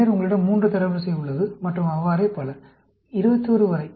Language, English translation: Tamil, And then, you have the 3 rank and so on, right up to 21